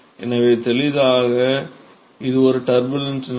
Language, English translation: Tamil, So, clearly it is a turbulent flow turbulent condition